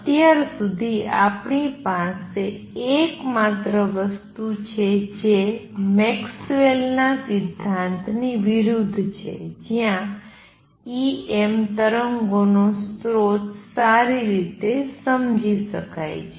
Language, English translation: Gujarati, So far, the only thing that we have is this is in contrast with is the Maxwell’s theory where source of E m waves is well understood